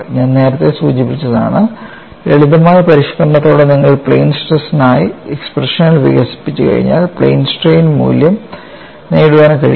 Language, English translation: Malayalam, I have already mentioned earlier, once you develop expressions for plane stress with a simple modification, it is possible to get the relevant quantities in plane strain